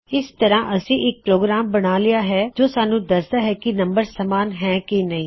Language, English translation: Punjabi, So we would have already created a simple program to tell us if one number equals another